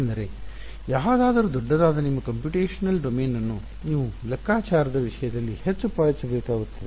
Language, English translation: Kannada, Because any I mean the larger your computational domain the more price you will have to pay in terms of computation ok